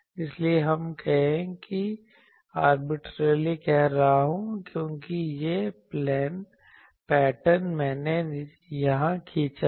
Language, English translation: Hindi, So, let us say that arbitrarily this is my arbitrarily I am saying, because this pattern I have drawn here